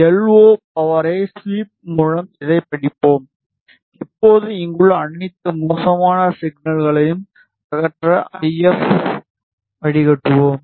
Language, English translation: Tamil, We will study this with a sweep on LO power, now we will the if filter to remove all the spurious signals over here